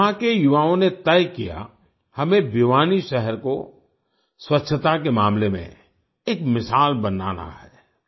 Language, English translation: Hindi, The youth here decided that Bhiwani city has to be made exemplary in terms of cleanliness